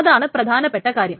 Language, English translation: Malayalam, That's the thing